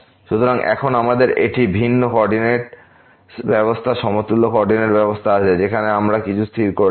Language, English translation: Bengali, So, now, we have a different coordinate system equivalent coordinate system where we have not fixed anything